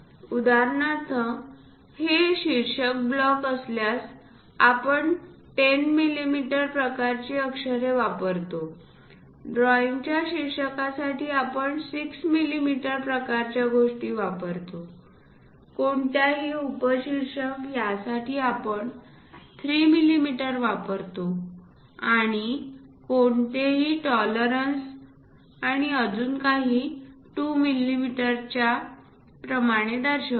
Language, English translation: Marathi, For example, if it is title block, we use 10 millimeters kind of letters; title drawings we use 6 millimeter kind of things, any subtitles we use 3 millimeters and any tolerances and so on represented it in terms of 2 millimeters